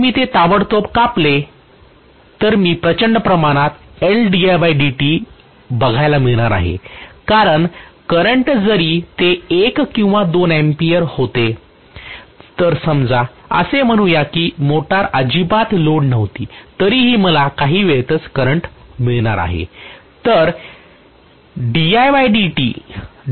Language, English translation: Marathi, So if I cut it off then immediately I am going to see huge amount of L di by dt, because the current even if it was one or two amperes, let us say the motor was on no load still I am going to have the current interacted with in no time